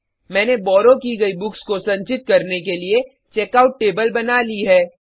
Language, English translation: Hindi, I have created Checkout table to store borrowed books